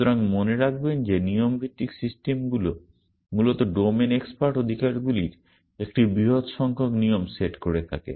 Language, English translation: Bengali, So, remember that the rule based systems basically consists of a large number rules set, the domain expert rights